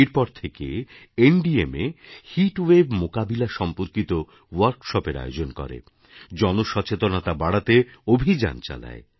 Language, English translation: Bengali, After that, NDMA organized workshops on heat wave management as part of a campaign to raise awareness in people